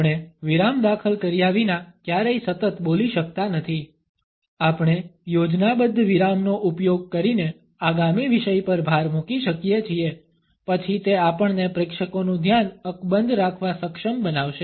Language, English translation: Gujarati, We can never continually speak without inserting a pause, we can emphasize the upcoming subject with the help of a plant pause then it would enable us to hold the attention of the audience